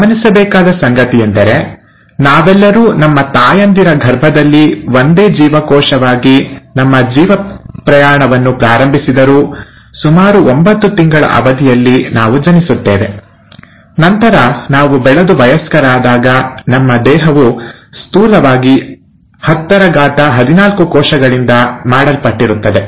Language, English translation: Kannada, What's interesting is to note that though we all start our life’s journey as a single cell in our mother’s womb, in about nine months’ time, we are born, and then later as we grow and become an adult, our body is made up of roughly 1014 cells